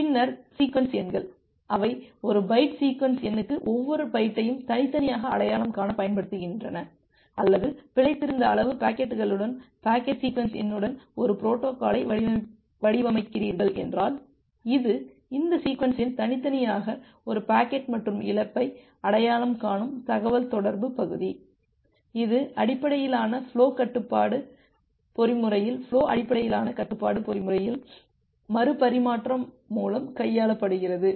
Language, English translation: Tamil, Then the sequence numbers, they are used to uniquely identify each byte for a byte sequence number or if you designing a protocol with the packet sequence number with fix size packets, then this, this sequence number will denote uniquely identify a packet and loss in the communication part it is handled through retransmission in the flow based flow based control mechanism in the based flow control mechanism